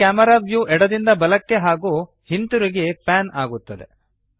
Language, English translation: Kannada, The Camera view moves left to right and vice versa